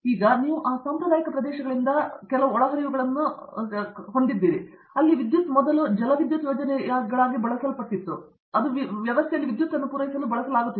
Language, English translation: Kannada, Now, you have inputs to take from those traditional areas, where earlier it used to be small hydro electric projects which used to feed in power into the system